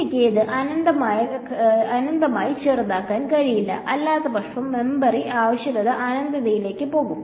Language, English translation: Malayalam, I cannot make it infinitely small otherwise the memory requirement will go to infinity